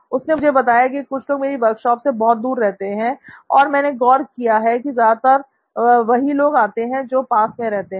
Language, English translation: Hindi, He told me well, some of them live very far away from where I have my workshop and I noticed that only people who live close by, they visit me often